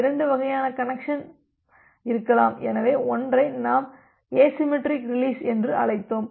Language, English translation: Tamil, So, there can be two type of connection release, so one we called as a asymmetric release